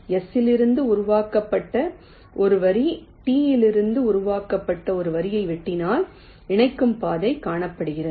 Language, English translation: Tamil, ah, if a line generated from s intersects a line generated from t, then a connecting path is found